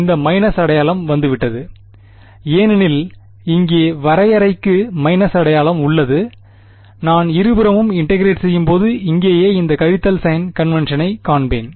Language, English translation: Tamil, That minus sign is come because here the definition has a minus sign over here right when I integrate on both sides, I will find this minus sign just convention